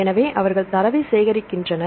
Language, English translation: Tamil, So, they collect the data